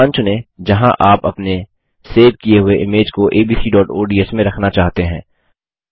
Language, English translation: Hindi, Select the location where you wish to place your saved image in abc.ods